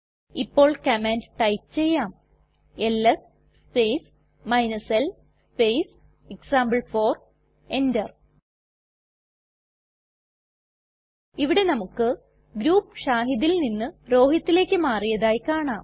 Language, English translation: Malayalam, Now type the command $ ls space l space example4 press Enter Here we can see that the group has changed from shahid to rohit